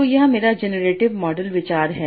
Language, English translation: Hindi, So what is the generative model